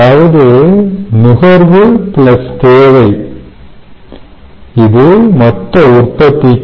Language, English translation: Tamil, ok, consumption plus demand is total production